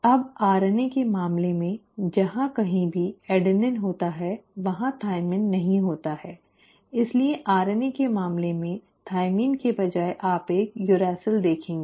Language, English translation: Hindi, Now in case of RNA, wherever there is an adenine, there is no thymine so instead of thymine in case of RNA you will see a uracil